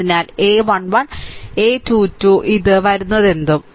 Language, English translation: Malayalam, So, a 1 1 , a 2 2, a 3 3, this one whatever it come